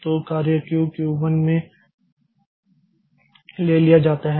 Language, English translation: Hindi, So, the job is taken to the Q1